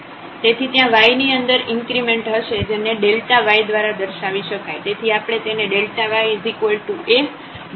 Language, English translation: Gujarati, So, there will be an increment in y that is denoted by delta y